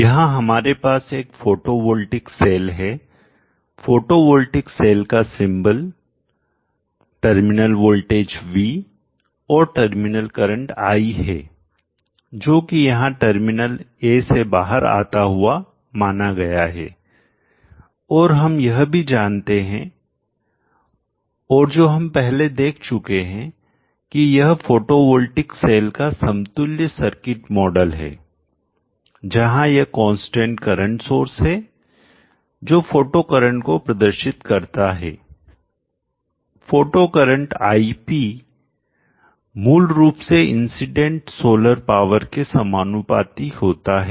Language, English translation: Hindi, We have here a photovoltaic cell the symbol of a photovoltaic cell the terminal voltage V and the terminal current I that is supposed to flow out of the terminal a here is indicated and we also know we have seen before the equivalent circuit model of this photovoltaic cell and that is like this where you have this constant current source representing the photo current the photo current IP is basically directly proportional to the incident solar power